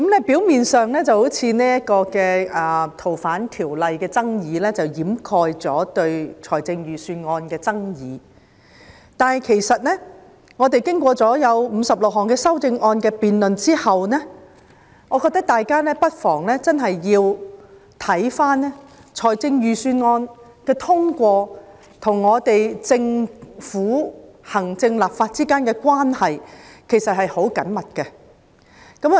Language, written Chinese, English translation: Cantonese, 表面上，修訂《逃犯條例》的爭議似乎掩蓋了大家對預算案的爭議，但經過56項修正案的辯論後，大家應該看到，預算案的通過，其實與行政和立法之間的關係十分緊密。, On the surface the controversy over the amendments to the Fugitive Offenders Ordinance seems to have overshadowed the controversy over the Budget . But after debating the 56 amendments we should know that the passage of the Budget is closely linked to the relationship between the Executive and the Legislature